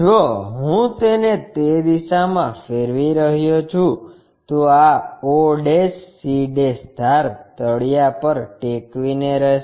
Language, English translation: Gujarati, If I am rotating it in that direction this o' c' edge has to be resting on the ground